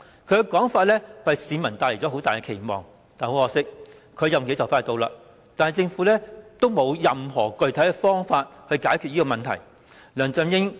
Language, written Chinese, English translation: Cantonese, 他這說法為市民帶來很大期望，但很可惜，他的任期快將完結，而政府並無任何具體方法解決這問題。, His remarks have kindled great expectations among the public . But it is most regrettable that as his term is expiring soon we have yet seen any concrete measure adopted by the Government to solve the problem